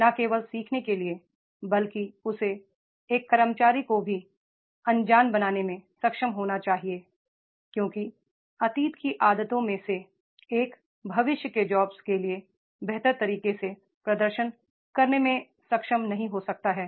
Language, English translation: Hindi, Not only to learn but he should be also able to make an employee to unlearn because of the past habits one may not be able to perform in a better way for the future jobs